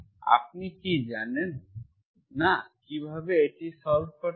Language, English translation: Bengali, Do not you know how to solve